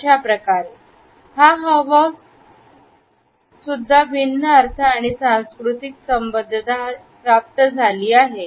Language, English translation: Marathi, It is also a gesture, which has got different connotations and cultural associations